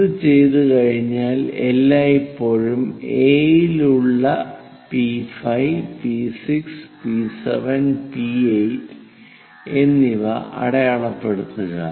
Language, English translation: Malayalam, Once it is done mark these points, P5, P6, P7 and P8 is always be at A